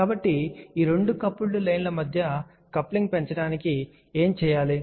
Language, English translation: Telugu, So, what can be done to increase the coupling between these two coupled line